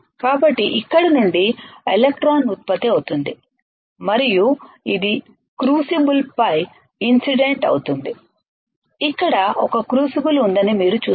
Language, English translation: Telugu, So, electron generates from here will band and it will in we get incident on the crucible you see there is a crucible here and within the crucible